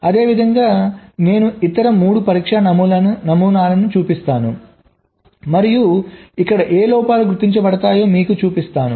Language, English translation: Telugu, similarly, i show the other three test patterns and what are the faults that a getting detected